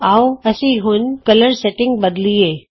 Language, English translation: Punjabi, Let us now change the colour settings